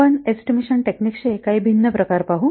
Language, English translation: Marathi, We will see some different other types of estimation techniques